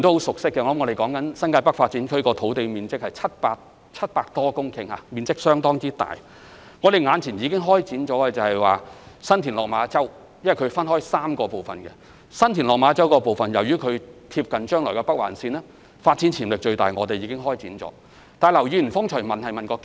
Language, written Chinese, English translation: Cantonese, 新界北發展涉及的發展土地面積多達700多公頃，面積相當大，並分為3個發展區，其中新田/落馬洲發展樞紐鄰近未來的北環綫，發展潛力最大，所以我們已經開展該發展區的相關研究。, The NTN Development involves a huge area of over 700 hectares which is divided into three development areas . Among them the San TinLok Ma Chau Development Node is close to the Northern Link to be built and has great potential for development . We have hence begun to conduct a study on this development area